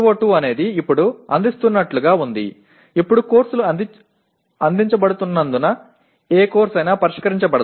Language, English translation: Telugu, PO2 is as they are offered now, as courses are offered now, is hardly addressed by any course